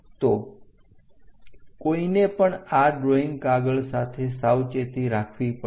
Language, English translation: Gujarati, So, one has to be careful with these drawing sheets